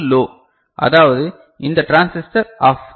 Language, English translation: Tamil, And this is low; that means this transistor is OFF ok